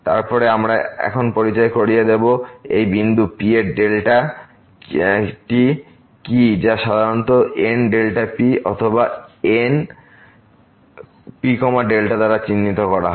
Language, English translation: Bengali, Then, we will introduce now what is the delta neighborhood of this point P which is usually denoted by N delta P or N P delta